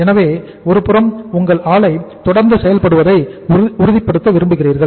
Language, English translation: Tamil, So on the one side you want to ensure that your plant is continuous working